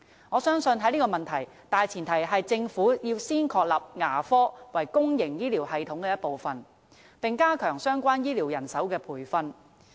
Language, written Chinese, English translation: Cantonese, 我相信在這個問題上，大前提是政府要先確立牙科為公營醫療系統的一部分，並加強相關醫療人手的培訓。, I believe that the prerequisites to this end are the Governments establishment of dental service as part of the public health care system and the enhancement of training for relevant medical personnel